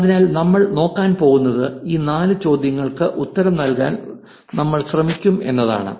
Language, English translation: Malayalam, So, what we are going to look at is we are going to try an answer these four questions